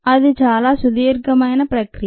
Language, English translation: Telugu, thats a long process